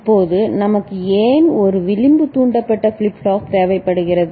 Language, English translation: Tamil, Now, why we require an edge triggered flip flop ok